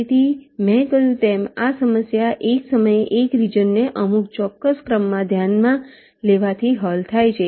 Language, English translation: Gujarati, ok, so this problem, as i said, is solved by considering one region at a time, in some particular order